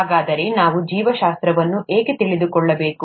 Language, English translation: Kannada, So, why do we need to know biology